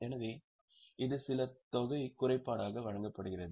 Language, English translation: Tamil, So, some amount is provided as impairment